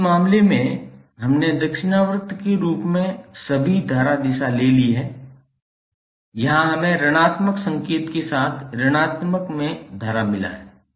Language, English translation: Hindi, Now in this case we have taken all the current direction as clockwise, here we have got current in negative with negative sign